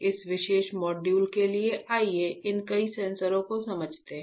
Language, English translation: Hindi, For this particular module let us understand these many sensors